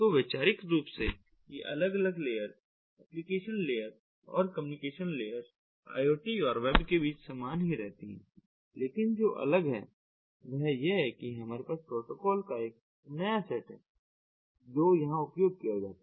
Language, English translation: Hindi, so, conceptually, these application layers, these different layers, communication layers and application layers, that communication layers remaining the same between iot and web, but what is different is that we have a new set of protocols that are used over here